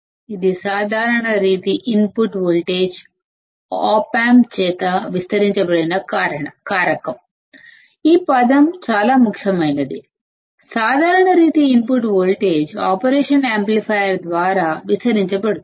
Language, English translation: Telugu, That it is a factor by which the common mode input voltage is amplified by the Op amp; this word is very important, common mode input voltage is amplified by the operation amplifier